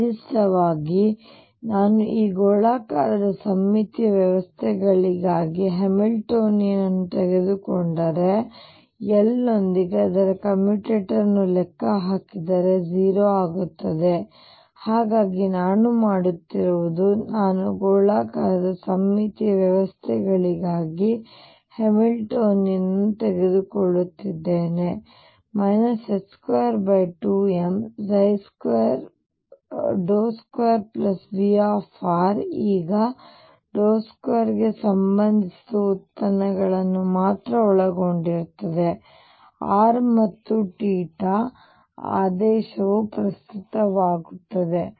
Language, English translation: Kannada, In particular now if I take the Hamiltonian for this spherically symmetric systems and calculate its commutator with L will turn out to be 0, so what I am doing is I am taking the Hamiltonian for the spherically symmetric systems minus h cross square over 2m, del square plus V r, now del square involves only derivatives with respect to r and theta and the order does not matter